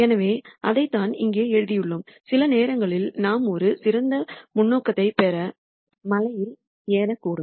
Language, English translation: Tamil, So, that is what we have written here sometimes we might even climb the mountain to get better perspective